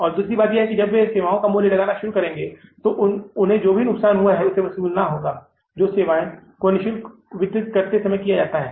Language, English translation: Hindi, And second thing is, when they start pricing the services, they will have to recover the loss which they have done while distributing their service free of cost